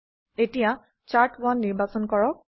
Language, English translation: Assamese, Select Plot to Chart1